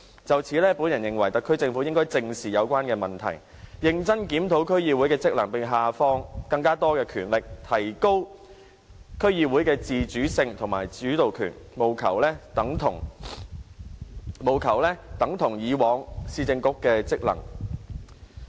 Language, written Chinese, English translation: Cantonese, 就此，我認為特區政府應該正視有關問題，認真檢討區議會的職能，並下放更多權力，提高區議會的自主性和主導權，務求令區議會的職能等同以往市政局。, In this connection I think the SAR Government should address squarely the relevant problems by reviewing the role and functions of DCs seriously and devolving more powers so that the DCs can have more autonomy and more say . In this way the DCs can be elevated to the same status of the previous Municipal Councils